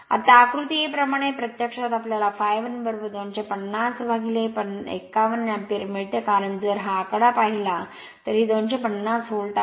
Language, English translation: Marathi, So, as you as from figure a, we get I f 1 is equal to 250 upon 51 ampere because, if you look into this figure, this is your 250 volt and this is 250